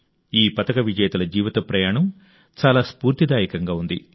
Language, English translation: Telugu, The life journey of these medal winners has been quite inspiring